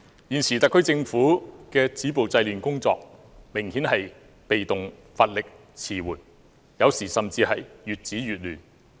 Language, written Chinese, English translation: Cantonese, 現時特區政府止暴制亂的工作，明顯是被動、乏力、遲緩，有時候甚至是越止越亂。, The present efforts of the Government to stop violence and curb disorder are obviously passive weak and slow . In some cases its efforts simply make things more chaotic